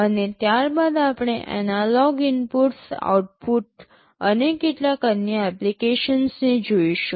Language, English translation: Gujarati, And subsequent to that we shall be looking at the analog inputs, outputs and some other applications and demonstrations